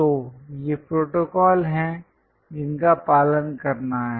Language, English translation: Hindi, So, these are the protocols which one has to follow